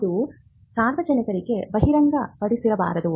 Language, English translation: Kannada, It should not be disclosed to the public